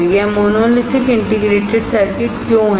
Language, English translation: Hindi, Why is it monolithic integrated circuit